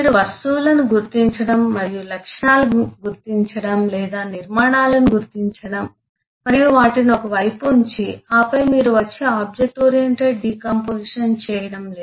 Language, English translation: Telugu, you you do not just keep on identifying objects and eh identifying attributes or identifying structures and keep them one side and then you come and do object oriented decomposition